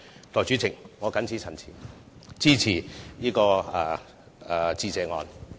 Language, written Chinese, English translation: Cantonese, 代理主席，我謹此陳辭，支持致謝議案。, With these remarks Deputy President I support the Motion of Thanks